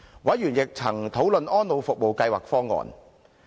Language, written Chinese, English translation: Cantonese, 委員亦曾討論安老服務計劃方案。, Members had also discussed the Elderly Services Programme Plan